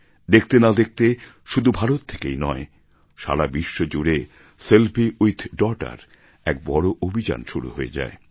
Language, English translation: Bengali, In no time, "Selfie with Daughter" became a big campaign not only in India but across the whole world